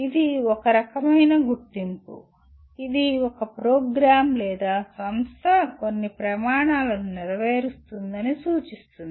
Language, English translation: Telugu, It is a kind of recognition which indicates that a program or institution fulfils certain standards